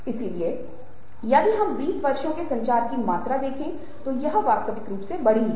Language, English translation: Hindi, so if we are looking at the amount of communication we are doing, in twenty years it has realty grown